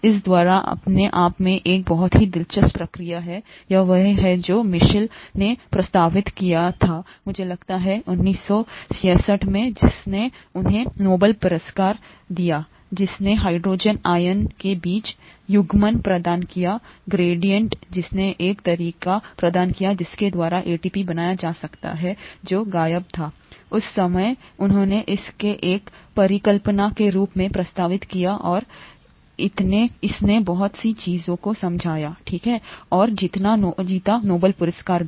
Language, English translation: Hindi, This by itself is a very very interesting process, this was what Mitchell proposed, I think in 1966 which won him the Nobel Prize, which provided the coupling between the hydrogen ion gradient and or which provided the a way by which ATP can be made which was kind of missing at that time; he proposed this as a hypothesis and (it’s it) it explained a lot of things, okay, and won the Nobel Prize also